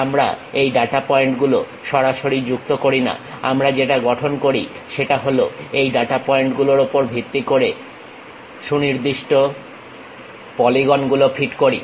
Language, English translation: Bengali, We do not straight away join these data points, what we do is we construct based on certain, polygons fit in between these data points